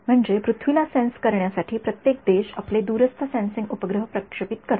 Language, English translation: Marathi, I mean every country launches its remote sensing satellites to sense the earth right